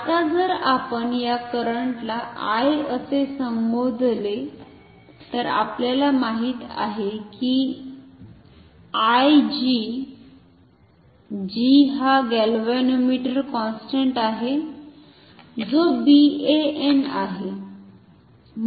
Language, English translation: Marathi, Now, if we call this current as I ok, then we know that I multiplied by G, G is what the galvanometer constant which is BAN; that means, torque per unit current